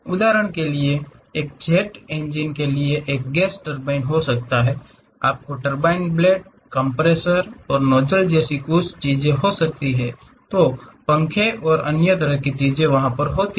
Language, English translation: Hindi, For example, there is a gas turbine perhaps maybe for a jet engine, you might be having something like turbine blades, compressors and nozzles, fans and other kind of things are there